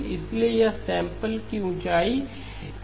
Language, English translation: Hindi, So these are samples of height equal to 1